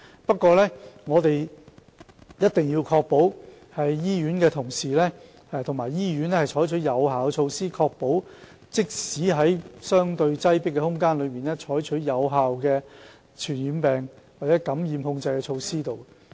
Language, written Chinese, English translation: Cantonese, 不過，我們一定要確保醫院的同事及醫院採取有效的措施，確保即使在相對擠迫的空間內，仍可採取有效的傳染病或感染控制措施。, However we must make sure that effective measures are adopted by colleagues in hospitals and the hospitals concerned so that even in a relatively crowded environment effective control measures can be taken against communicable diseases and infection